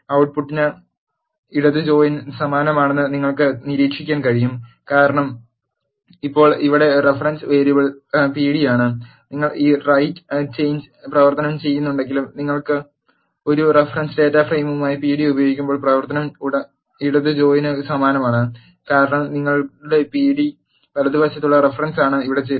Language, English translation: Malayalam, You can observe that output is similar to the left join, because now the reference variable here is pd, when you are using pd as a reference data frame even though you are doing this right join operation, the operation is similar to left join because your pd is the reference at the right join here